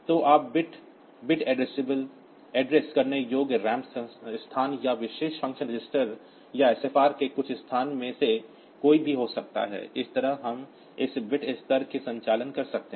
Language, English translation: Hindi, So, bit can be any of the bit addressable ram locations or of a some location of the special function register or SFR, so that way we can have this bit level operations done